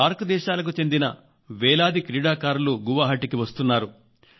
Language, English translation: Telugu, Thousands of SAARC countries' players are coming to the land of Guwahati